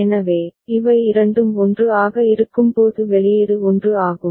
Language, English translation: Tamil, So, when both of them are 1 then the output is 1